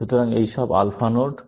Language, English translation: Bengali, So, all these are alpha nodes